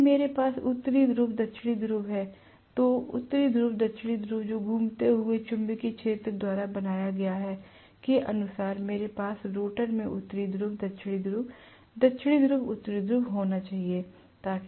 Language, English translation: Hindi, If I have North Pole South Pole, North Pole South Pole created by the revolving magnetic field, correspondingly, I should have North Pole South Pole, North Pole South Pole in the rotor